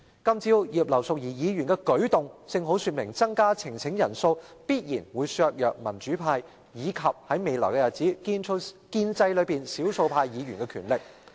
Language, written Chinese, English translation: Cantonese, 今早葉劉淑儀議員的舉動正好說明，增加呈請人數必然會削弱民主派及——在未來日子——建制派內的少數派議員的力量。, The move taken by Mrs Regina IP this morning shows precisely that increasing the number of people required for presentation of a petition will definitely undermine the power of the pro - democracy camp and in the future Members who are the minority in the pro - establishment camp